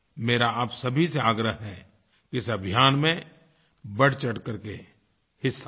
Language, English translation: Hindi, I urge you all to be a part of this campaign